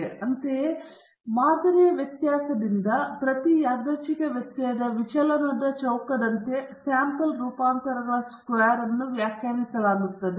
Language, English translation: Kannada, Similarly, a sample variance s squared is defined as the square of the deviation of each random variable from the sample mean